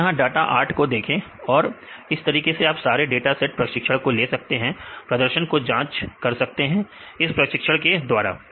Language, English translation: Hindi, So, here we use 8 data see 8 data right likewise you can use all the dataset training, and you can evaluate the performance using training